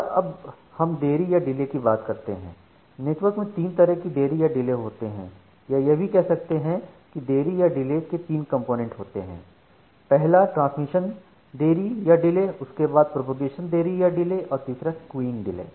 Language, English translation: Hindi, Now, coming to delay, in network there are three different types of delay or you say that there are three components of delay, the first one is the Transmission delay then we have the Propagation delay and the third one is the Queuing delay